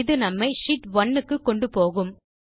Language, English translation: Tamil, This takes us back to Sheet 1